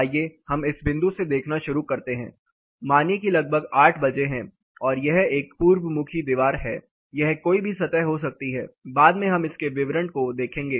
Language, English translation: Hindi, Let us start looking at somewhere from this point, say take about 8 a clock where you start getting imagine this is an east facing wall it can be any surface later we will look at the details